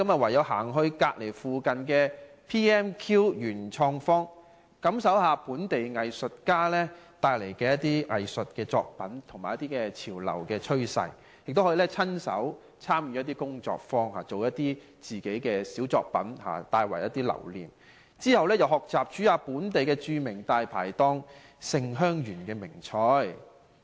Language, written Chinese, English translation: Cantonese, 唯有走到附近的 PMQ 元創方，感受一下本地藝術家的作品和潮流趨勢，亦可以參加一些工作坊，親身造一些小作品留念，之後學習烹調一下本地著名大牌檔"勝香園"的名菜。, Instead I could move on to the nearby PMQ to take a look at the works of local artists and have a sense of the latest trends . I could also join some workshops to make some small souvenirs . After that I could learn to cook the famous dishes of Sing Heung Yuen a locally renowned Dai Pai Dong